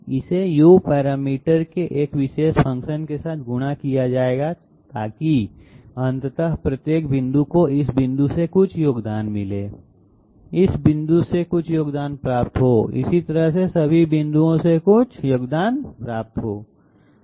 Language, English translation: Hindi, This will be multiplied with a particular function of the U parameter so that ultimately each and every point gets some contribution from this point, get some contribution from this point, get some contribution from all the points that way